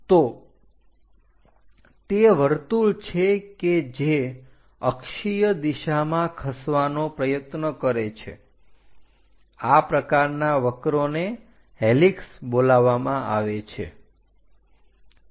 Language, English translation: Gujarati, So, basically it is a circle which is trying to move in the axial direction; such kind of things are called helix